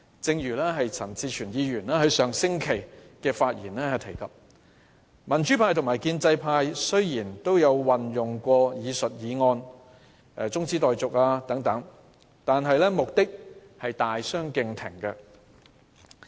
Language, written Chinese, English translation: Cantonese, 正如陳志全議員在上星期發言時提到，民主派和建制派雖然都曾動議中止待續等議案，兩者的目的卻大相逕庭。, As Mr CHAN Chi - chuen said at last weeks meeting both the pro - democracy and pro - establishment camps had moved adjournment motions but for very different purposes